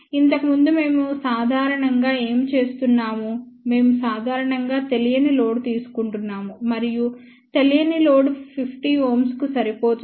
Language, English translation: Telugu, Earlier what we were generally doing, we were generally taking an unknown load and that unknown load was match to 50 ohm